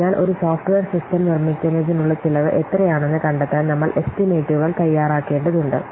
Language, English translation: Malayalam, So estimates are made to discover the cost of producing a software system